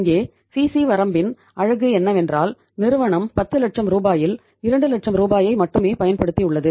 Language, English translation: Tamil, Here the beauty of the CC limit is that the firm has used only 2 lakh rupees out of 10 lakh rupees